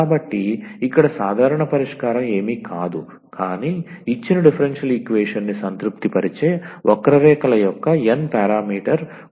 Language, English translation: Telugu, So, the general solution is nothing, but the n parameter family of curves which satisfies the given differential equation